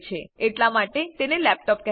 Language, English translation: Gujarati, Hence, it is called a laptop